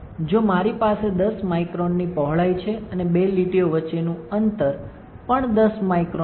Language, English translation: Gujarati, If I have width of 10 microns and spacing between two line is also 10 microns